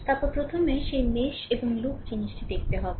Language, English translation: Bengali, Then first you have to see that mesh and loop thing, right